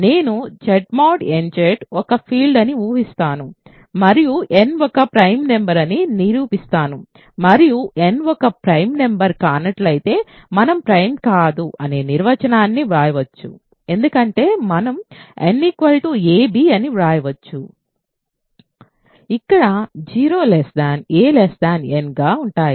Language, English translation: Telugu, So, I am going to assume that Z mod nZ is a field and prove that n is a prime number suppose n is not a prime number then we can write the definition of not being prime means we can write n is equal to ab, where a and b are strictly less than n right